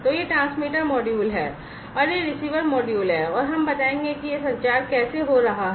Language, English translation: Hindi, So, this is the transmitter module and this is the receiver module and we will show that how this communication is taking place